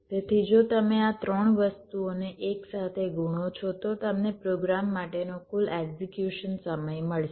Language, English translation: Gujarati, so if you multiple this three thing together, you get the total execution time for a program